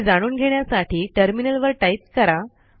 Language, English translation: Marathi, Lets try this on the terminal